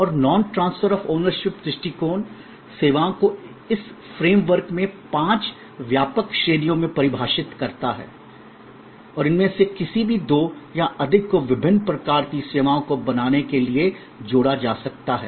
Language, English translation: Hindi, And this non transfer of ownership oriented approach to define services produce five broad categories with in this frame work and any two or more of these can be combined to create different kinds of services